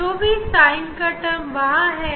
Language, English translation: Hindi, whatever the for sin term was there